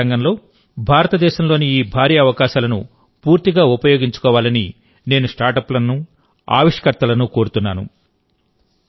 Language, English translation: Telugu, I would urge more and more Startups and Innovators to take full advantage of these huge opportunities being created in India in the space sector